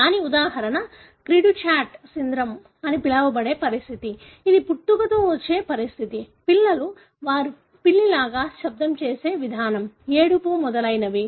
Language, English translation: Telugu, An example of that is the condition called cri du chat syndrome, which is a congenital condition where the babies, the way they make the sound look like or sound like a cat, the crying and so on